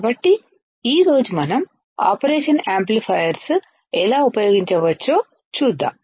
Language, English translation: Telugu, So, today let us see how we can use the operational amplifier